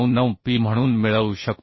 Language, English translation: Marathi, 599P and that is 0